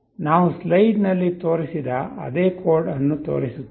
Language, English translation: Kannada, We show that same code that we have shown on the slide